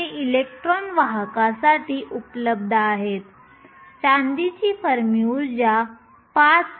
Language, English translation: Marathi, These electrons are available for conduction, the Fermi energy of silver is 5